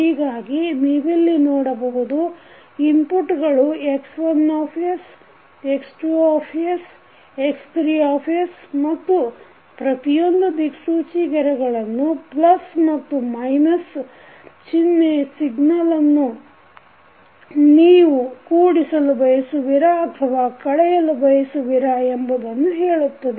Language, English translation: Kannada, So here if you see the inputs are X1, X2 and X3 and in each and every arrow you will see this plus or minus sign is presented which indicates whether you want to summing up or you want to subtract the signal